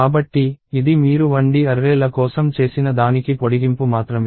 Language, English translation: Telugu, So, this is just an extension of what you did for 1D arrays